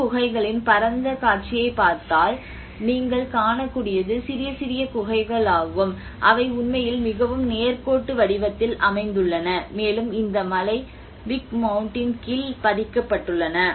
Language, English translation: Tamil, \ \ \ And if you look at the panoramic view of the whole caves, what you can see is small small caves which are actually located in a very linear pattern and has been embedded under this mountain Big Mound which has been covered